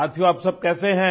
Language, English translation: Hindi, Friends, how are you